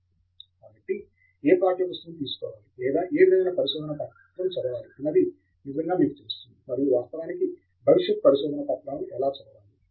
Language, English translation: Telugu, So, you really know which text book to pick up or which research paper to read, and in fact, how to read future papers